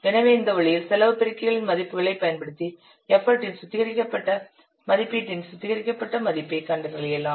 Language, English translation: Tamil, So in this way you can use the values of the cost multipliers to find out the refined value of the refined estimate of the effort